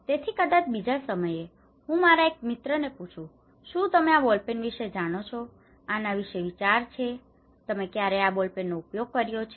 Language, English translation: Gujarati, So, maybe in time 2, I asked one of my friend, hey, do you know about this ball pen, any idea, have you ever used this ball pen